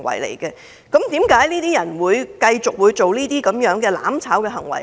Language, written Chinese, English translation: Cantonese, 為何這些人會繼續這些"攬炒"行為？, Why do they continue to acts of burning together?